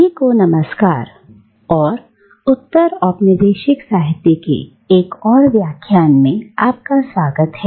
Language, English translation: Hindi, Hello everyone and welcome back to another lecture on postcolonial literature